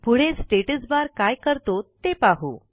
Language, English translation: Marathi, Next, lets see what the Status bar does